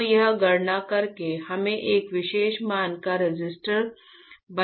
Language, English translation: Hindi, So, the by calculating here we can form a resistor of a particular value